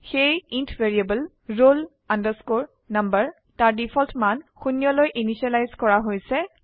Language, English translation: Assamese, So, the int variable roll number has been initialized to its default value zero